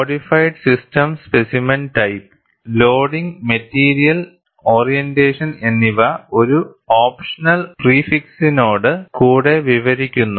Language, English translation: Malayalam, The codified system describes the specimen type, loading and material orientation with an optional prefix spelled out in full